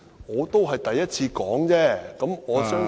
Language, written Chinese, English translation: Cantonese, 我只是第一次說，我相信......, It was the first time I mentioned it . I believe